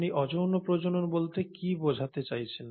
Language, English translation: Bengali, Now what do you mean by asexual reproduction